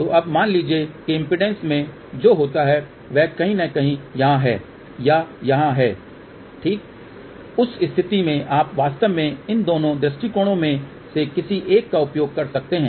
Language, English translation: Hindi, So, now, suppose what happens in the impedance is somewhere here or somewhere here ok, in that case you can actually use either of these two approaches ok